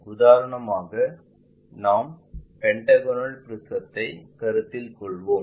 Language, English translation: Tamil, For example let us consider pentagonal prism